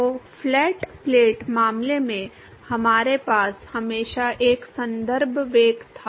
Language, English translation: Hindi, So, in the flat plate case, we always had a reference velocity